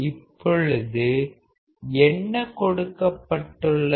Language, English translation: Tamil, Now, what is given